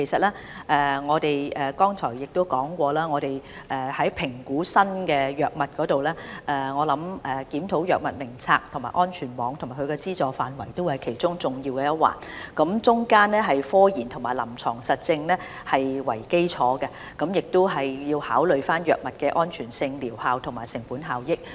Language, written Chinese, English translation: Cantonese, 其實，我剛才已提到，在評估新藥物方面，我相信檢討《藥物名冊》、安全網及其資助範圍也是其中重要一環，這是以科研及臨床實證為基礎，亦要考慮藥物的安全性、療效及成本效益。, In fact as I mentioned just now as regards the new drug review I believe HADF the safety net and its scope of subsidy are all important elements of the review . This is done on the basis of scientific and clinical evidence taking into account the safety efficacy and cost - effectiveness of the drugs